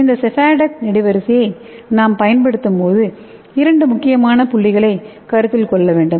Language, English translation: Tamil, When we use this sephadex column you have to consider two important points